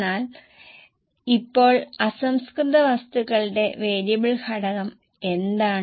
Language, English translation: Malayalam, Now, what is a variable component of raw material